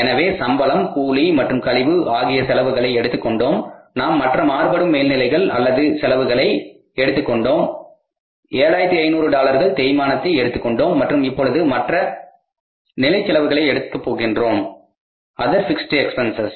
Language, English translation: Tamil, So, we have taken salary wages and commission expenses, we have taken other variable overheads or expenses, we have taken depreciation 7,000, and now we have to take the other fixed expenses to other fixed expenses